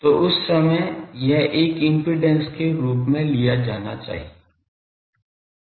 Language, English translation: Hindi, So, that time it should be behaving as an impedance